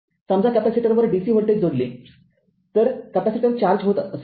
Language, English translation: Marathi, Suppose, you connect a dc voltage across a capacitor, capacitor will be getting charged right